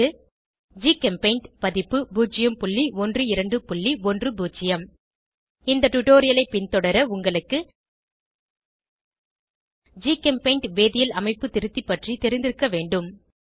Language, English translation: Tamil, 12.04 GChemPaint version 0.12.10 To follow this tutorial you should be familiar with, GChemPaint chemical structure editor